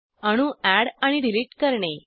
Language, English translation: Marathi, * Add and delete atoms